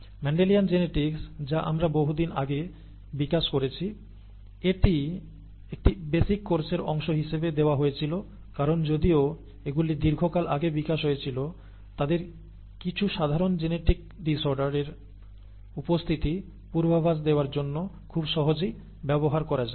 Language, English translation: Bengali, The Mendelian genetics that we had developed a long time ago, it was given as a part of of a basic course because although they were developed a long time ago, they are simple enough to be easily used to predict the occurrence of certain genetic disorders